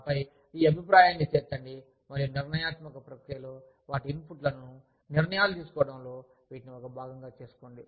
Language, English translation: Telugu, And then, include this feedback, and make it a part, of the decision making process, include their inputs, in forming, in making decisions, that affect them